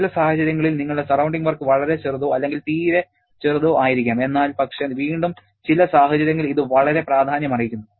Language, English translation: Malayalam, In situations your surrounding work may be extremely small or negligibly small but again under certain situations it can be quite significant